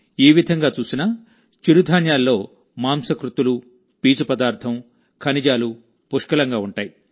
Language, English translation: Telugu, Even if you look at it this way, millets contain plenty of protein, fiber, and minerals